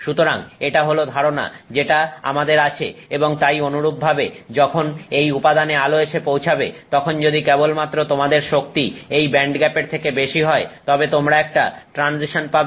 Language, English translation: Bengali, So that is the idea that we have and so correspondingly when light arrives at this material only if you have energy greater than the bandcap you have a transition